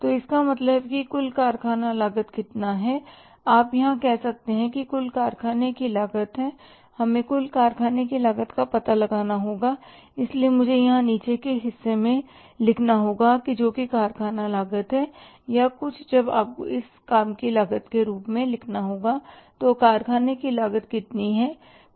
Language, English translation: Hindi, You can say here that the total factory cost is we will have to find out the total factory cost so I will have to write here in the lower part that is the factory cost or sometime you have to write it as the works cost